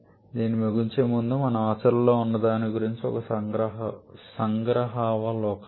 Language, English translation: Telugu, And before we close off, just a glimpse about what we have in practice